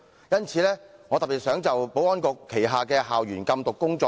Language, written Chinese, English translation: Cantonese, 因此，我特別想討論保安局的校園禁毒工作。, Therefore I have a particular interest in discussing the school anti - drug work carried out by the Security Bureau